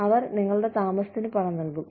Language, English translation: Malayalam, They will fund your stay